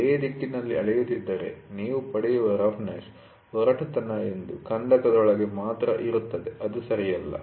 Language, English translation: Kannada, If you measure along the lay direction, the roughness whatever you get it will be within one trench alone that is not correct